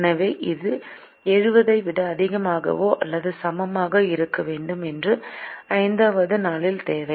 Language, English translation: Tamil, so this should be greater than or equal to seventy, which is the requirement for the fifth day